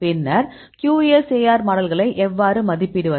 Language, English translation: Tamil, How to evaluate the QSAR model